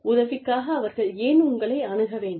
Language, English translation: Tamil, Why should they approach you, for help